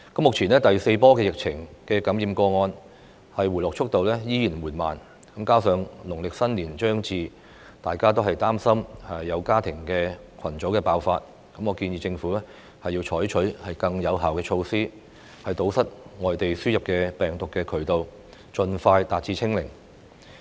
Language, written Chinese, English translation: Cantonese, 目前第四波疫情感染個案的回落速度仍然緩慢，加上農曆新年將至，大家均擔心社會出現家庭群組爆發，我建議政府採取更有效措施，堵截病毒從境外輸入，盡快達至"清零"。, At present the number of infected cases in the fourth wave of the pandemic is going down slowly . With Lunar New Year approaching we are all worried that there may be family cluster outbreak . I suggest that the Government should adopt more effective measures to guard against importation of case and achieve zero case as soon as possible